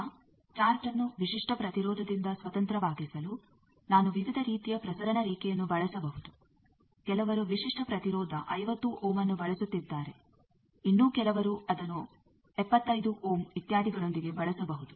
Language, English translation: Kannada, Now, to make the chart independent of characteristic impedance because I can using various type of transmission line, someone is using some with characteristic impedance 50 ohm, someone else may use it with 75 ohm etcetera